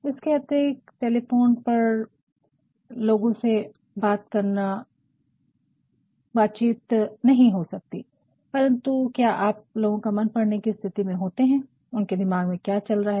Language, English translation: Hindi, Moreover you cannot you can talk to people on telephone, but are you in a position to understand what goes in the in his mind you cannot